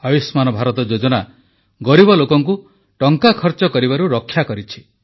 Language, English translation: Odia, The 'Ayushman Bharat' scheme has saved spending this huge amount of money belonging to the poor